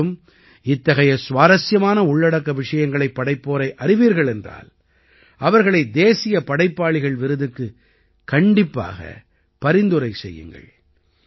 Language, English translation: Tamil, If you also know such interesting content creators, then definitely nominate them for the National Creators Award